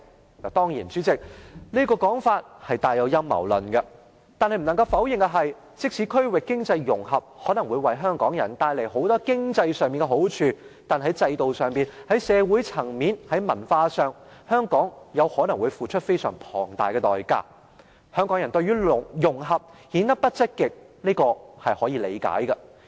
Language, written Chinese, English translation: Cantonese, 當然，代理主席，這個說法帶有陰謀論，但不能否認的是，區域經濟融合可能會為香港人帶來很多經濟上的好處。但是，在制度、社會層面、文化上，香港可能要付出非常龐大的代價，香港人對於"融合"顯得不積極，是可以理解的。, Certainly Deputy President there is a hint of conspiracy theory in such description but undeniably regional economic integration may cost Hong Kong dearly in terms of our systems society and culture though it may bring considerable economic benefits to Hong Kong people . So it is understandable why Hong Kong people are not enthusiastic about integration